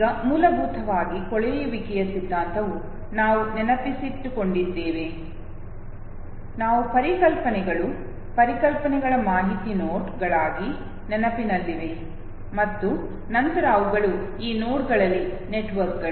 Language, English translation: Kannada, Now basically what theory of decay says, is that you remember we talked about a fact that there are concepts, concepts which are remembered as nodes of information, and then they are networks in these nodes okay